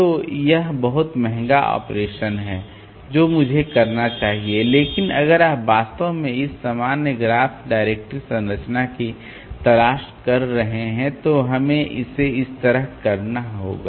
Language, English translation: Hindi, So, that is another very costly operation I should say but if you are really looking for this general graph directory structure then we have to do it like this